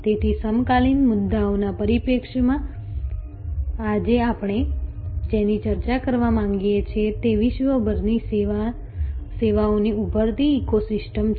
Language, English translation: Gujarati, So, from the contemporary issues perspective, what we want to discuss today is the emerging ecosystems of services around the world